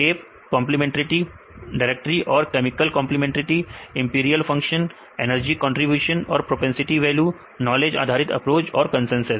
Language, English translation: Hindi, Shape complementarity directory and chemical complementarity, empirical functions, energy contributions and propensity values, knowledge based approach and the consensus